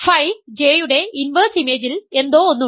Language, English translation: Malayalam, Something is in the inverse image of phi J